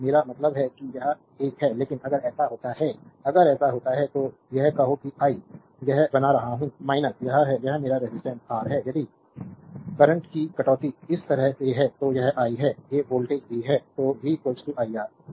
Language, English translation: Hindi, So, I mean this is this is one, but if it happen so, if it happen so say this is I making plus this is minus, this is my resistance R, and if the deduction of the current is like this, this is i these voltage is v, then v will be is equal to minus iR